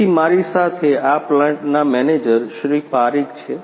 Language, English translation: Gujarati, So, I have with me the manager of this plant Mr